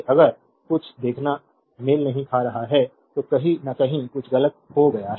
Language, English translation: Hindi, If you see something is not matching then somewhere something has gone wrong in calculation